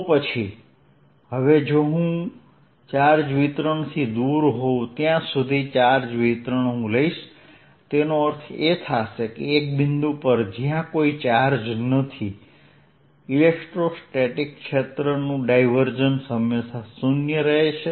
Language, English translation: Gujarati, so now, if i take charge distribution, as long as i am away from the charge distribution, that means at a point, at a point where there is no charge, diversions of electrostatic field will always be zero